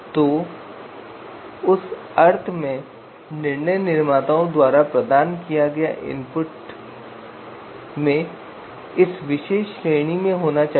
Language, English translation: Hindi, So in that sense these you know input provided by decision makers they should actually be lying you know in this particular range